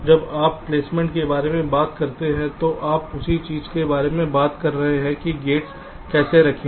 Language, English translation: Hindi, when you talk about placements, you are talking about the same thing: how to place the gates